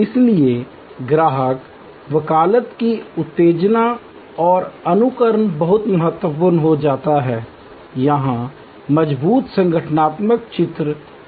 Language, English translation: Hindi, So, stimulation and simulation of customer advocacy becomes very important here creates strong organizational images